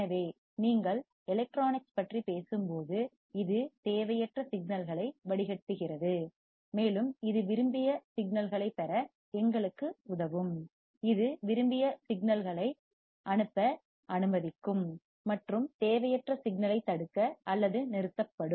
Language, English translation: Tamil, So, it will filter out the unwanted signals when you talk about electronics, and it will help us to get the wanted signals, it will allow the wanted signal to pass, and unwanted signal to lock or stop